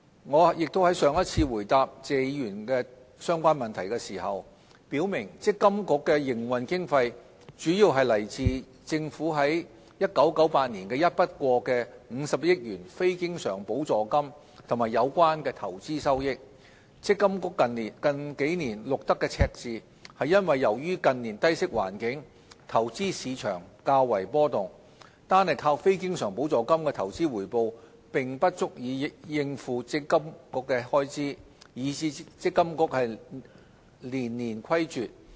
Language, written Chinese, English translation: Cantonese, 我亦已在上一次回答謝議員相關問題時表明積金局的營運經費主要來自政府於1998年的一筆過50億元非經常補助金及有關的投資收益，積金局近數年錄得赤字是因為由於近年低息環境，投資市場較為波動，單靠非經常補助金的投資回報並不足以應付積金局的開支，以致積金局連年虧絀。, In my previous reply to a related question raised by Mr TSE I have explained that MPFAs operating expenses are mainly covered by the investment income generated from the Governments 5 billion one - off Capital Grant provided in 1998 . The financial deficit in recent years is due to volatility in the investment market against a low interest environment lately . Relying solely on non - recurrent investment return is insufficient for MPFA to meet its expenses and hence its deficit in consecutive years